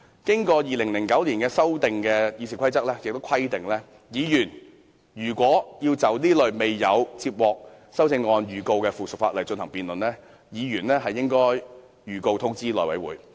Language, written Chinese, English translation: Cantonese, 根據在2009年經修訂的《議事規則》的規定，議員如要就這類沒有修正案的附屬法例進行辯論，必須通知內務委員會。, Pursuant to RoP revised in 2009 Members must inform the House Committee in order to hold a debate on subsidiary legislation to which no amendment has been proposed